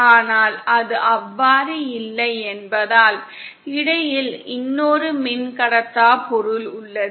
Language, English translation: Tamil, But since it is not so, we have another dielectric material in between